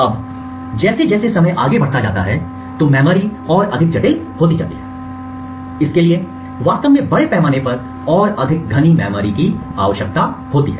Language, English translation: Hindi, Now as time progressed and memories became more and more complex it was required to actually scale down and have more dense memories